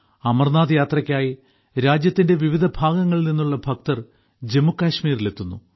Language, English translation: Malayalam, Devotees from all over the country reach Jammu Kashmir for the Amarnath Yatra